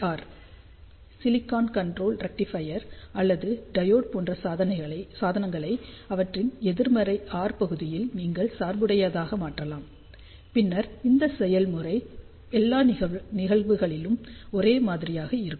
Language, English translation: Tamil, And even low frequency components you might have read about SCR Silicon Controlled Rectifier or triode, so that means, you can bias these devices in their negative R region, and then the process will remain same for all those cases